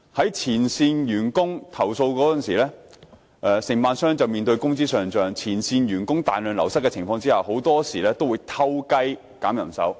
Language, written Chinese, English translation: Cantonese, 當前線員工作出投訴時，承辦商便面對工資上漲和前線員工大量流失的情況，他們很多時候會"偷雞"削減人手。, When complaints are lodged by frontline employees contractors will be facing rising wages and a massive drain of frontline employees . Very often they will slash manpower secretly